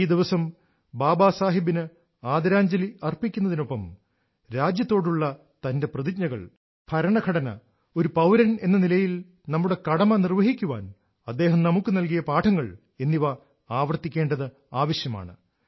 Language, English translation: Malayalam, Besides paying our homage to Baba Saheb, this day is also an occasion to reaffirm our resolve to the country and abiding by the duties, assigned to us by the Constitution as an individual